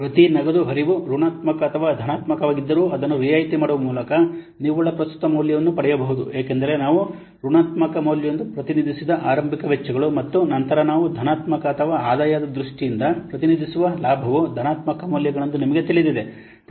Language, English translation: Kannada, The net present value can be obtained by discounting each cash flow both whether it is negative or positive because you know the initial expenses that we represent as negative value and then the profit we represent in terms of the positive or the income that we represent as positive what values